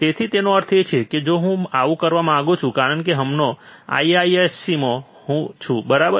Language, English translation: Gujarati, So, that means, that if I want to so, since I am right now in IISC, right